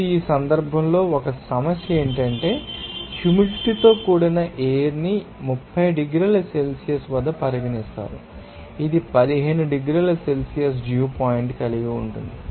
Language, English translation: Telugu, Now, in this case, one problem is that humid air is considered at 30 degrees Celsius, which has a dew point of 15 degrees Celsius